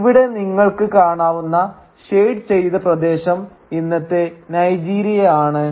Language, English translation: Malayalam, And here you can see the shaded area represents the modern day country of Nigeria